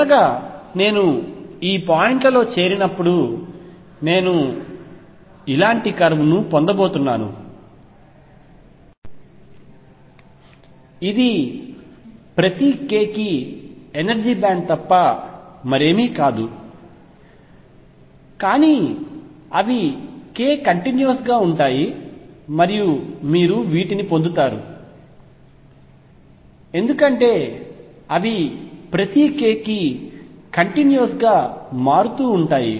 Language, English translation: Telugu, And finally, when I join these points I am going to get a curve like this which is nothing but the energy band for each k there are several energies, but they form bands they continuously changing for each k because k is continuous and you get these bands